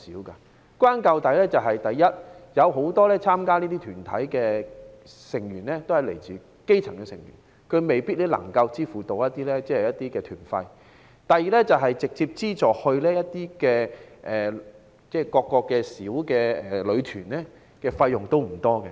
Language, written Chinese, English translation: Cantonese, 歸根究底是，首先，很多參加這些團體的成員是來自基層，他們未必能夠支付團費；其次，當局直接資助到各個小旅團的費用不多。, Firstly members of these UGs are mainly from grass - roots families and they do not necessarily have the means to pay for tour fees . Secondly the Governments direct funding for each small group is very limited